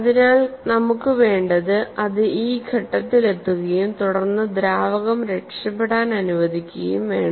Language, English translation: Malayalam, So, what do we want is, it has to reach this stage and then allow the fluid to escape